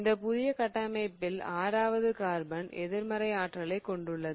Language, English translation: Tamil, In this new structure carbon number 6 bears the negative charge